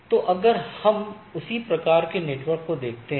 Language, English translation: Hindi, So, in the same way if we look at that same type of network